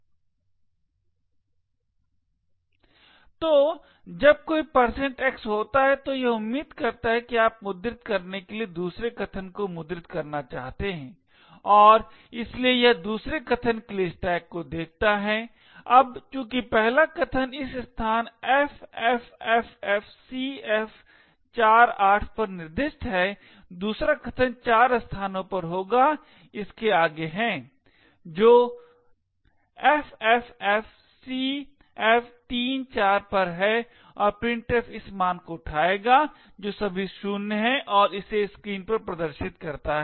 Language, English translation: Hindi, So when there is a %x it expects that you want to print the second argument to printf and therefore it looks to the stack for the second argument, now since the first argument is specified at this location ffffcf48 the second argument would be four locations ahead of this that is at ffffcf34 and printf would pick up this value which is all zeroes and display it on the screen